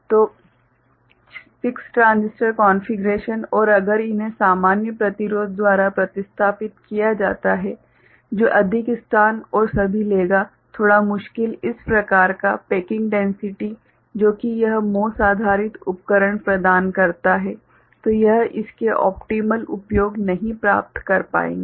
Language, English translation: Hindi, So, 6 transistor configuration and if these are replaced by normal resistance right, which will take more space and all a bit difficult, the kind of packing density that this MOS based devices provide it will not be able to you know get its optimal uses